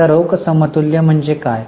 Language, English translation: Marathi, Now, what is that cash equivalent